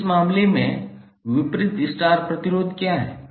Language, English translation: Hindi, So in this case, what is the opposite star resistor